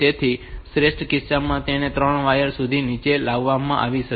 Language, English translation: Gujarati, So, it may it may be brought down to 3 wires in the best case